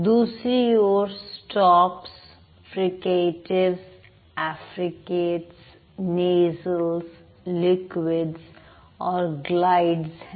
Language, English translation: Hindi, The other side we have stops, fricatives, africates, nasals, liquids and glides